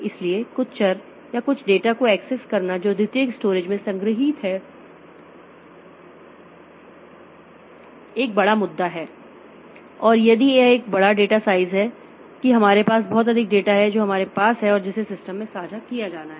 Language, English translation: Hindi, So, accessing some variables or some data which is stored in the secondary storage is a big issue and if it is a large sized data, large data size that we have lots of data that we have